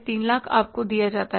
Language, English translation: Hindi, 300,000 is given to you